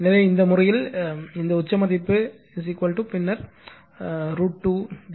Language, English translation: Tamil, So, in this case, this peak value is equal to then root 2 V